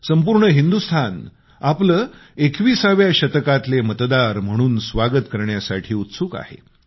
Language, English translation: Marathi, The entire nation is eager to welcome you as voters of the 21st century